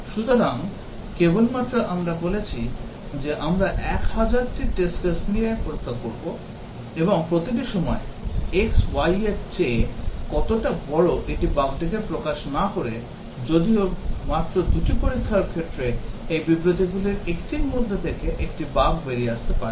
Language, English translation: Bengali, So, just saying that we tested with 1,000 test cases and each time x is larger than y does not bring out the bug; whereas, just two test cases would bring out a bug in either of these statements